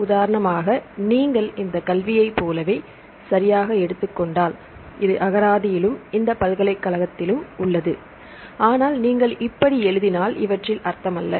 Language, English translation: Tamil, For example, if you take right like this education right this is present in the dictionary and this university this also present in the dictionary, but if you write like this it is as no meaning